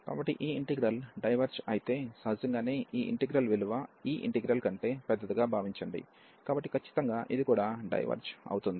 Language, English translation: Telugu, So, if this integral diverges, so naturally this integral the value is suppose to be bigger than this integral, so definitely this will also diverge